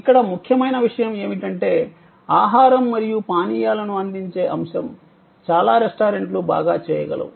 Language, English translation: Telugu, Important thing here is that, the core of providing food and beverage can be very well done by many restaurants